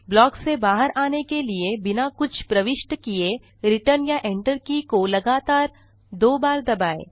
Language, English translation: Hindi, To exit from the block press the return key or the enter key twice without entering anything else